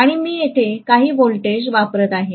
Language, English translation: Marathi, And I am essentially applying some voltage here, right